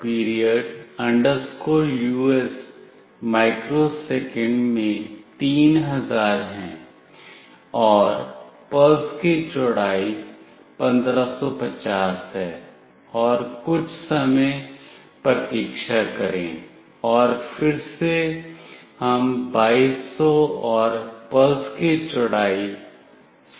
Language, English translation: Hindi, period us is 3000 in microsecond, and the pulse width is 1550, and wait for some time and again we are doing 2200 and pulse width of 100